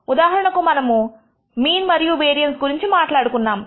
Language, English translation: Telugu, Example we will talk about mean and variance and so on